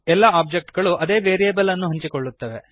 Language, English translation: Kannada, All the objects will share that variable